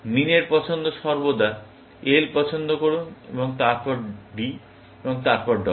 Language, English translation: Bengali, Min’s choice is always, prefer the L and then, D, and then, W